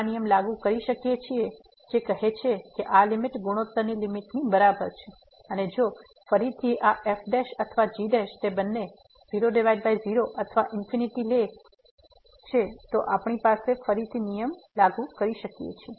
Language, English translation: Gujarati, We can apply this rule which says that this limit will be equal to the limit of the ratios and if again this prime and prime they both becomes or takes the form by or infinity by infinity then we can again apply the rule